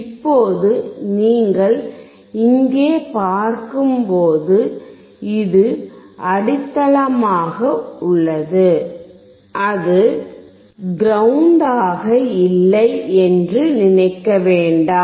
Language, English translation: Tamil, Now when you see here this is grounded, do not think that is not grounded